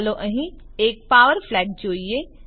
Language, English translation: Gujarati, Let us connect a power Flag here